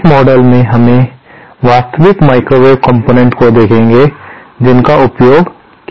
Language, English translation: Hindi, In this module, we shall be seen actual microwave components that are used